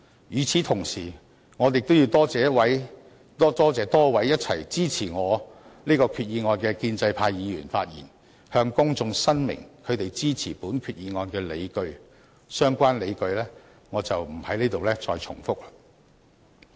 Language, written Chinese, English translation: Cantonese, 與此同時，我亦要多謝支持我這項擬議決議案的多位建制派議員，他們向公眾發言申明支持本決議案的理據。相關理據我在此不再重複。, Meanwhile I must thank the pro - establishment Members who support my proposed resolution . They have clearly stated their justifications for supporting this resolution in their speeches to the public and I am not going to repeat those justifications here